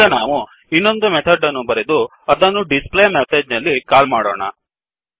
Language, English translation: Kannada, Now we will write another method and call this methd in displayMessage